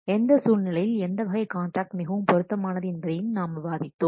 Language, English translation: Tamil, We have also discussed which type of contract is best suitable under what circumstances